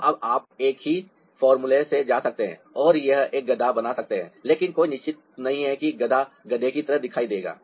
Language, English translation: Hindi, now you can go by the same formula and make a donkey here, but there is no surety that the donkey will look like a donkey